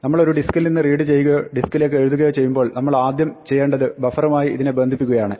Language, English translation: Malayalam, When we read and write from a disk the first thing we need to do is connect to this buffer